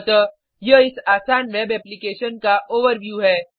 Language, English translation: Hindi, So, this is the overview of this simple web application